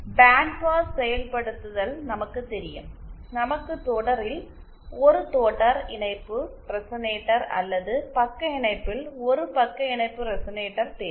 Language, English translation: Tamil, Then as we know for bandpass implementation, we need a series resonator in series or a shunt resonator in shunt